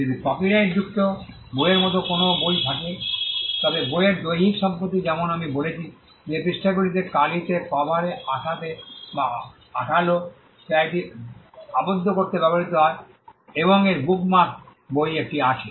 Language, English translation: Bengali, If there is a book which is copyrighted book, the physical property in the book as I said manifests in the pages, in the ink, in the cover, in the gum or the glue adhesive that is used to bind it and in the bookmark of the book has one